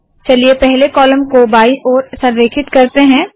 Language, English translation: Hindi, Let us make the first column left aligned